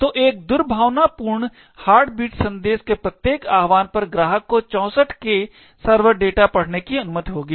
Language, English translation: Hindi, So, each invocation of a malicious heartbeat message would allow the client to read about 64K of server data